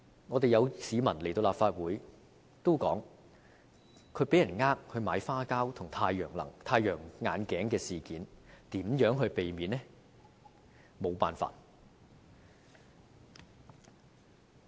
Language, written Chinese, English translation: Cantonese, 過去曾有市民到立法會向我們說被騙購買花膠和太陽眼鏡，如何避免這些事件呢？, Members of the public have come to the Legislative Council telling us that they were tricked into buying dried fish maw and sunglasses . How can we prevent these cases?